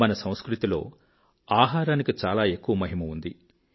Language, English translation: Telugu, In our culture much glory has been ascribed to food